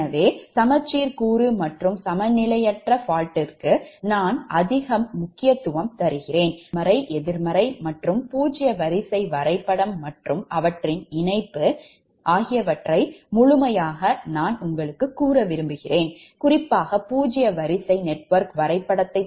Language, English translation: Tamil, so that part i, i thought i give more importance on symmetrical component and unbalanced fault right, particularly that positive, negative and zero sequence diagram and their connection, particularly the zero sequence network diagram